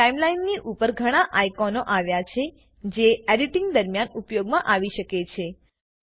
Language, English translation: Gujarati, Above the timeline there are several icons that could help during the editing